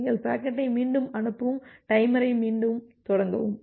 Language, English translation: Tamil, You retransmit the packet and start the timer again